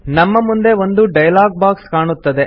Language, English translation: Kannada, A dialog box appears in front of us